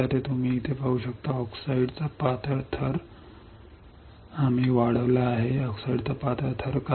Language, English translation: Marathi, So, you can see here see thin layer of oxide we have grown why thin layer of oxide